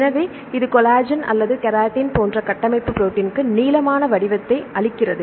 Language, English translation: Tamil, So, this gives the elongated shape to this structural protein like the collagen or keratin and so on, fine